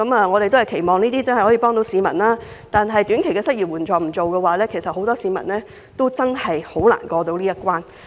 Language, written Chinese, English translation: Cantonese, 我們期望這些措施真能幫助市民，但若沒有短期失業援助金，很多市民都捱不過這個難關。, Although we hope these measures can genuinely help ease the peoples plight many people may not make it through this hard time without the short - term unemployment assistance